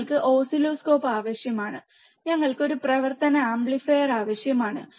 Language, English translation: Malayalam, We need oscilloscope, and we need a operational amplifier